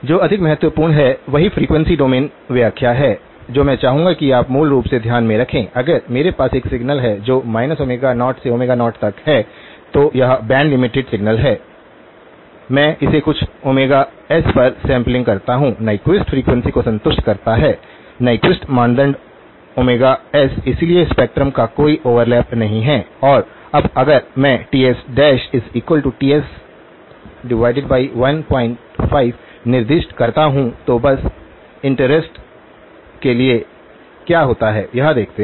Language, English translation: Hindi, What is more important is the corresponding frequency domain interpretation which I would like you to keep in mind so basically, if I have a signal that has got from minus omega0 to omega0, it is the band limited signal, I sample it at some omega s that satisfies Nyquist frequency; Nyquist criterion, omega s, so there is no overlap of the spectrum and now if I specify Ts dash equal to Ts by 1 point 5, just for interest, just to see what happens